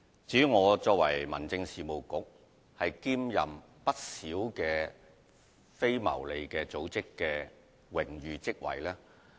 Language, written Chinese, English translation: Cantonese, 至於我作為民政事務局局長，會兼任不少非牟利組織的榮譽職位。, As the Secretary for Home Affairs I hold a number of honorary posts in different non - profit - making organizations